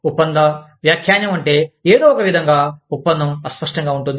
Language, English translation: Telugu, Contract interpretation means that, somehow, the contract is vague